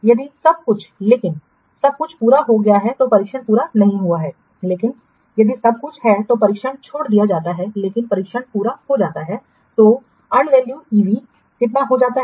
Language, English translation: Hindi, If everything but testing is not completed, if everything is completed but testing is left, if everything but testing is completed, then EV becomes how much